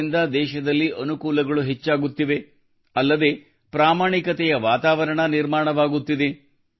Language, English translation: Kannada, Due to this, convenience is also increasing in the country and an atmosphere of honesty is also being created